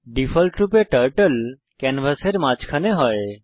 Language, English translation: Bengali, Turtle is in the middle of the canvas by default